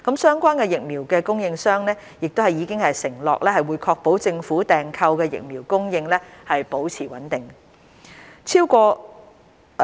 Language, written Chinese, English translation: Cantonese, 相關疫苗供應商已承諾會確保政府訂購的疫苗供應保持穩定。, The vaccine suppliers have undertaken to ensure a steady supply of vaccines procured by the Government